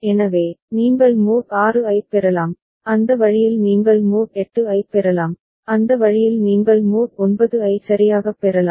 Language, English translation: Tamil, So, that way you can get mod 6, that way you can get mod 8, that way you can get mod 9 right